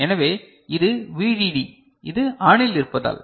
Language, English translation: Tamil, So, this is V DD and this is because this is ON